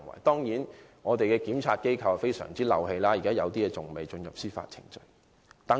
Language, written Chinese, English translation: Cantonese, 當然，我們的檢察機構處理此事的效率甚低，有些案件至今還未進入司法程序。, Admittedly our prosecuting agency was very inefficient in handling this issue . Some of the cases in question have yet to be brought to court